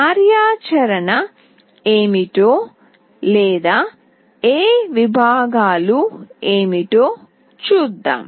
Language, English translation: Telugu, Let us see what is the functionality or what are these segments